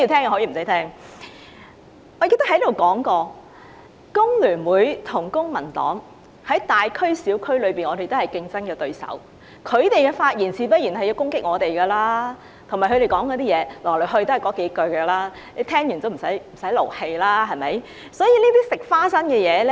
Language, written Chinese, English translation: Cantonese, 我記得我在此說過，香港工會聯合會與公民黨在大區及小區均是競爭對手，他們發言時自然會攻擊我們，而且來來去去都是那幾句批評，聽了也無需動氣。, I remember I once said here that The Hong Kong Federation of Trade Unions and the Civic Party are competitors in all districts territory - wide be they large or small so it is natural for them to attack us when they speak . As the criticisms are more or less the same there is no point of feeling angry